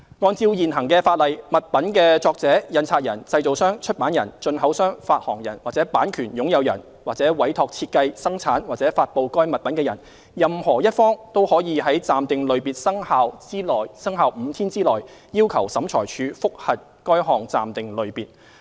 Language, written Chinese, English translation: Cantonese, 按照現行法例，物品的作者、印刷人、製造商、出版人、進口商、發行人或版權擁有人，或委託設計、生產或發布該物品的人，任何一方均可於暫定類別生效5天內，要求審裁處覆核該項暫定類別。, Under the existing legislation any author printer manufacturer publisher importer distributor or owner of the copyright of the article concerned or any person who commissions the design production or publication of the article concerned may require OAT to review an interim classification within five days of that interim classification taking effect